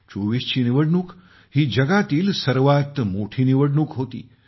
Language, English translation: Marathi, The 2024 elections were the biggest elections in the world